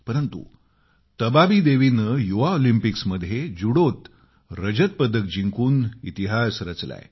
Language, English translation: Marathi, But Tabaabi Devi created history by bagging the silver medal at the youth Olympics